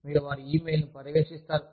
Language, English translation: Telugu, You monitor their e mails